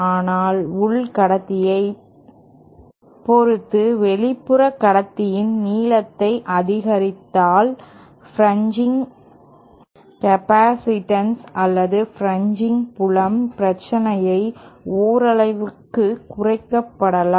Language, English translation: Tamil, But if you increase the length of the outer conductor with respect to the inner conductor, then the fringing capacitance or the fringing field problem can be reduced to some extent